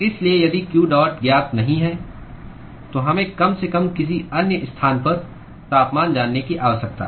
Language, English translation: Hindi, So, if q dot is not known, then we need to at least know the temperature at some other location